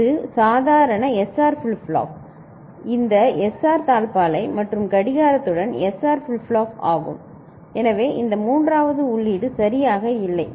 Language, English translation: Tamil, So, this is the normal SR flip flop these SR latch and the SR flip flop with clock, so this third input was not there ok